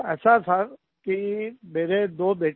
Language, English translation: Hindi, I have two sons